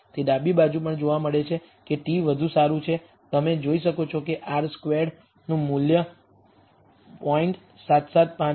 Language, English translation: Gujarati, It is also seen on the left hand side that the t is much better you can see that the r squared value has gone up to 0